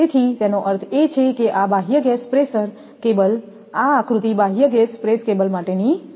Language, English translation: Gujarati, So, that means, external gas pressure cables this is that diagram for external gas pressure cable